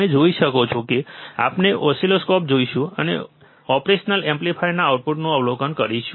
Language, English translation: Gujarati, You can see we will see an oscilloscope and we will observe the output of operational amplifier